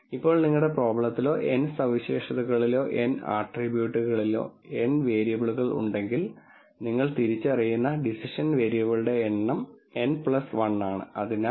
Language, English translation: Malayalam, Now, if you have n variables in your problem or n features or n attributes then the number of decision variables that you are identifying are n plus 1